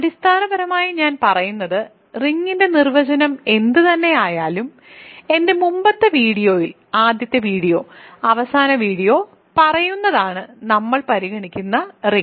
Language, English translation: Malayalam, So, basically what I am saying is that in my earlier video, first video, last video whatever the definition of ring is, is the ring that we will consider